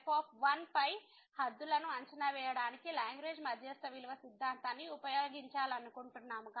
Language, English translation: Telugu, Now, we want to use the Lagrange mean value theorem to estimate the bounds on